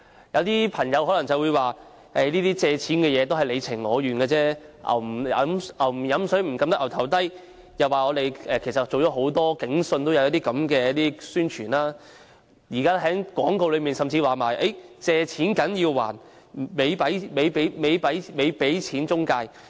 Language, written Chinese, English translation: Cantonese, 有朋友可能會說，借錢是你情我願的事，俗語有云，"牛不喝水，怎樣按牠的頭牠也不會低頭"，又說"警訊"已有類似宣傳，現時廣告甚至提到"借錢梗要還，咪俾錢中介"。, As the saying goes You can lead a horse to water but you cannot make it drink . They may also say that Police Magazine has already done similar publicity work . Now it is even said in the advertisement You have to repay your loans